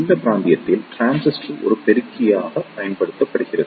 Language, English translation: Tamil, In this region the transistor is used as an amplifier